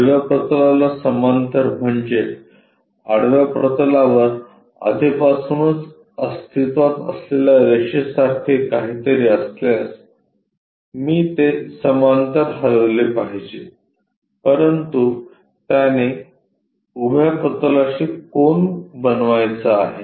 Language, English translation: Marathi, Parallel to horizontal plane means; if something like line already present on the horizontal plane I should move it parallel, but that supposed to make an inclination angle with the vertical plane